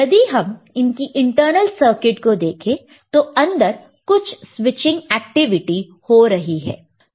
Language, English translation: Hindi, So, if you look at the internal circuits of it there are switching activity that is happening inside – ok